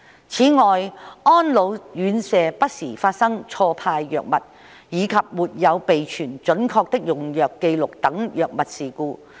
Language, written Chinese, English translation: Cantonese, 此外，安老院舍不時發生錯派藥物，以及沒有備存準確的用藥紀錄等藥物事故。, Furthermore medication incidents such as wrong dispensation of medication and failure to keep accurate medication records have occurred from time to time at residential care homes for the elderly RCHEs